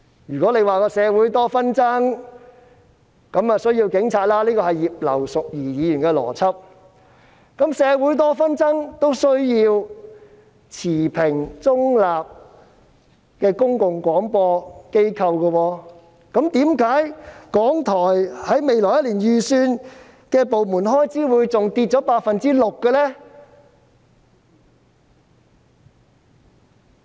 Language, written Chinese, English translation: Cantonese, 如果說社會多紛爭，所以需要有警察——這是葉劉淑儀議員的邏輯——然而，當社會多紛爭時，其實也需要持平、中立的公共廣播機構，為何港台未來一年的部門預算開支竟下跌了 6% 呢？, Meanwhile Radio Television Hong Kong RTHK If it follows that police officers are needed given the many disputes in society―this is Mrs Regina IPs logic―however an impartial and neutral public broadcaster is also needed when there are many disputes in society . How come the estimate of departmental expenses of RTHK for the coming year has dropped by 6 % ?